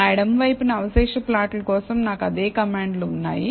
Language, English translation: Telugu, On my left, I have the same commands for the residual plot